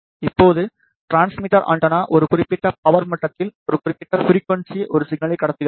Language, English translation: Tamil, Now, the transmitter antenna transmits a signal at a particular frequency at a particular power level